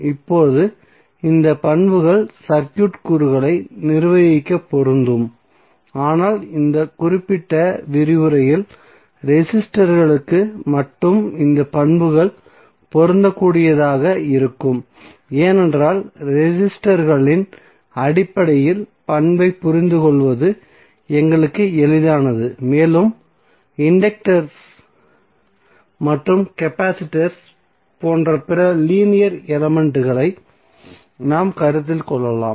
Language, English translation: Tamil, Now although the property applies to manage circuit elements but in this particular lecture we will limit our applicable to registers only, because it is easier for us to understand the property in terms of resistors and then we can escalate for other linear elements like conductors and capacitors